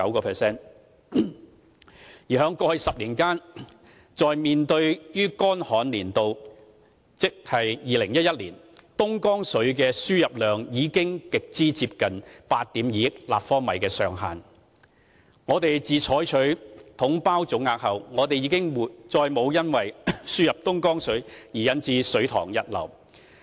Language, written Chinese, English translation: Cantonese, 回顧過去10年間，在乾旱的2011年，東江水的輸入量已經極為接近8億 2,000 萬立方米上限。我們自採取"統包總額"後，已再沒有因輸入東江水而引致水塘溢流。, Reflecting on the past 10 years we can see that in 2011 which was a drought year the quantity of imported Dongjiang water came very close to the ceiling of 820 million cu m Ever since we adopted the package deal lump sum approach we have not seen overflow from reservoirs resulting from the import of Dongjiang water